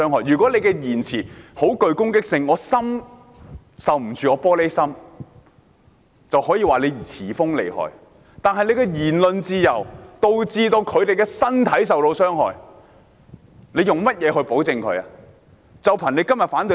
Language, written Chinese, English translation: Cantonese, 如果言語具攻擊性，我是"玻璃心"受不了，就可以說是詞鋒銳利厲害；但他們的言論自由導致別人身體受傷害，還憑甚麼要保障他們呢？, If I am so emotionally fragile that I cannot stand their verbal attacks they may be said to have a sharp tongue . But when their freedom of speech causes bodily harm to others why should they be protected?